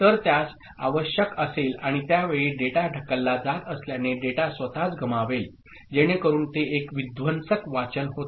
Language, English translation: Marathi, So, that will be required and at that time, since the data is being pushed, so these data as such on its own will be lost; so that becomes a destructive reading